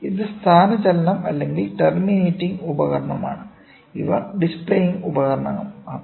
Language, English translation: Malayalam, So, you this is displace or terminating device these are the displaying devices